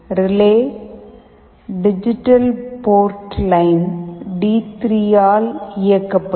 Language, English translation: Tamil, The relay will be driven by digital port line D3